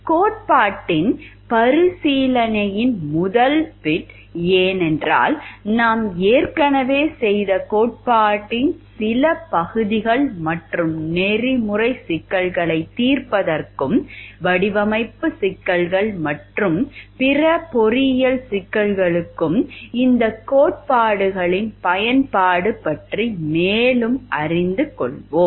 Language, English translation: Tamil, So, this particular discussion of this lecture today will be mainly based on application first bit of recapitulation of the theory, because some of some parts of the theories we have already done and more about application of these theories to ethical problem solving and design issues and other engineering problems